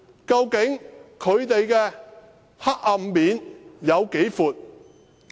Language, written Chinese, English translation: Cantonese, 究竟他們的黑暗面有多闊？, How far and deep is their dark side?